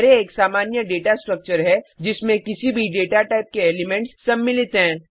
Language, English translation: Hindi, Array is a simple data structure which contains elements of any data type